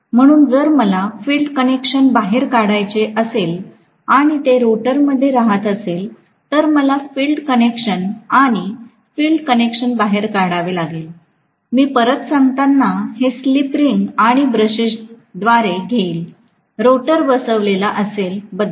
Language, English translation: Marathi, So, if I had to bring the field connections out, if it is residing in the rotor I have to bring the field connections out and the field connections when I bring out again, it will come through slip ring and brush, if I am talking about it sitting in the rotor